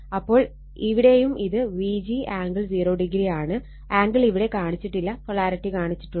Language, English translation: Malayalam, So, here also here also your what you call this is also my V g angle 0, angle is not shown here, polarity is shown here